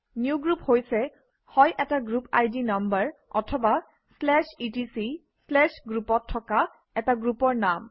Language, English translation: Assamese, Newgroup is either a group ID number or a group name located in /etc/group